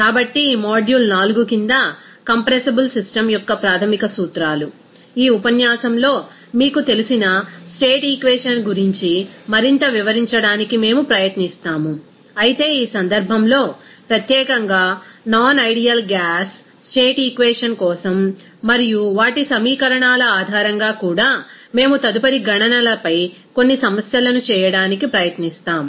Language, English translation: Telugu, So, under this module 4, basic principles of compressible system, in this lecture, we will try to describe more about that you know state equation, but in this case especially for non ideal gas state equation and also based on their equations, we will try to do some problems on further calculations